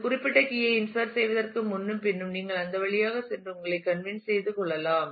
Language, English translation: Tamil, Before and after insertion of a certain key you can go through that and convince yourself